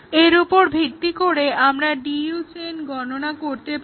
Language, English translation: Bengali, Now, based on what we discussed, we can define a DU chain